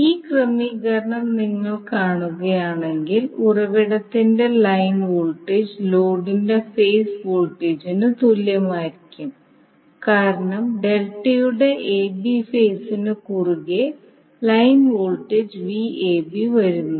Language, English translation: Malayalam, Now if you see these particular arrangement, the line voltage of the source will be equal to phase voltage of the load because line voltage that is Vab is coming across the phase AB of the delta